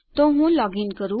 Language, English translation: Gujarati, So let me login